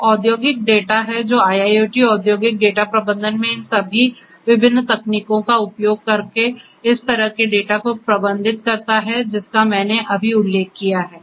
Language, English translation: Hindi, So, industrial data is what is concerns IIoT industrial data managing such kind of data using all these different techniques that I just mentioned will have to be done